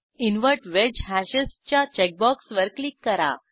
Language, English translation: Marathi, Click on Invert wedge hashes checkbox